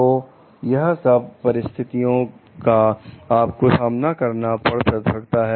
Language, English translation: Hindi, So, these could be the consequences that you may face